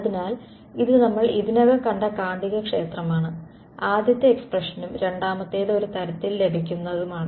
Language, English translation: Malayalam, So, this is the magnetic field which we already saw first expression and the second is obtained a sort of when I take the curl of this I get two components